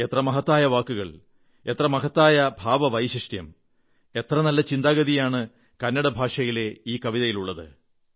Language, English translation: Malayalam, You will notice the beauty of word, sentiment and thought in this poem in Kannada